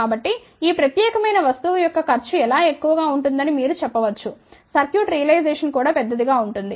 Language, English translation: Telugu, So, you can say that the cost of this particular thing will be much larger even the circuitry realization will be larger